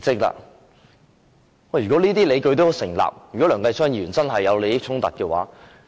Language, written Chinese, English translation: Cantonese, 如果這些理據成立，梁繼昌議員真的有利益衝突。, If these arguments stand it would mean that Mr Kenneth LEUNG really has conflict of interests